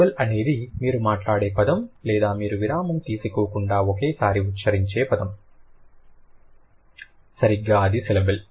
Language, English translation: Telugu, A syllable is a chunk of word that you speak or that you pronounce at one go without taking any pause, right